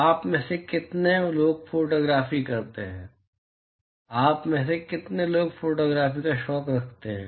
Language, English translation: Hindi, How many of you take photography, how many of you have photography as a hobby